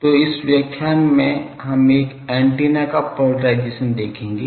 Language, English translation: Hindi, So, in this lecture we will see Polarisation of an Antenna